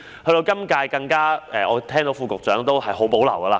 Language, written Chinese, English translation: Cantonese, 到了現屆政府，我聽到副局長對此很有保留。, In the current - term Government I have heard that the Under Secretary has strong reservations about that